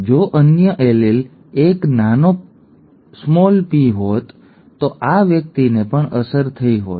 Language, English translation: Gujarati, If the other allele had been a small p then this person would have also been affected